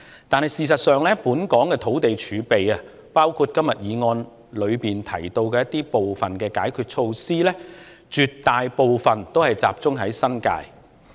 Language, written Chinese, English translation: Cantonese, 但是，事實上，本港的土地儲備，包括今天議案中提及部分解決措施涉及的土地，絕大部分都集中在新界。, In fact however the land reserve in Hong Kong including the land for some of the countermeasures mentioned in the motion today is overwhelmingly concentrated in the New Territories